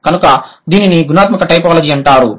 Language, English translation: Telugu, So, that would be known as qualitative typology